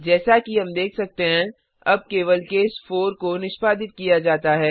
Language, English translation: Hindi, As we can see, now only case 4 is executed